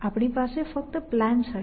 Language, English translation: Gujarati, We will have only plans essentially